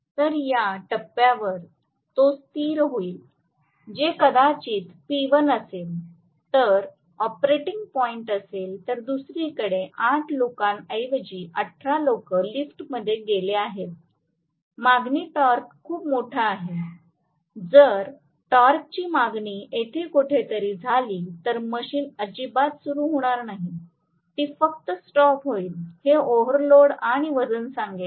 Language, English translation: Marathi, So, it will settle down at this point, which is probably P1 that is going to be the operating point, on the other hand instead of 18 people, 8 people, say 18 people have gotten into the elevator, the torque is very large the demand, if the torque demand happens to be somewhere here, the machine will not start at all, it will just stall, it will say overload and weight